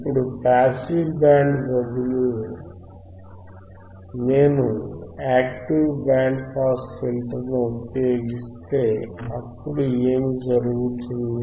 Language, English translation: Telugu, Now instead of passive band pass, if instead of passive band pass if I use if I use a active band pass filter if I use an active band pass filter,